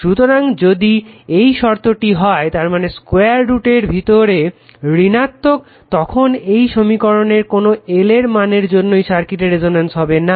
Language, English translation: Bengali, So, if this condition is there; that means, under root comes square root of is negative then this question is what there will be no value of l will make the circuit resonance right